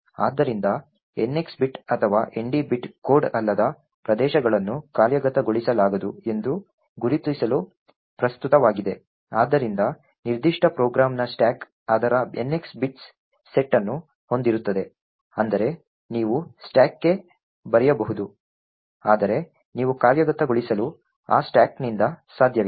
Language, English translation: Kannada, So, the NX bit or the ND bit is present to mark the non code regions as non executable thus the stack of the particular program would be having its NX bits set which would mean that you could write to the stack but you cannot execute from that stack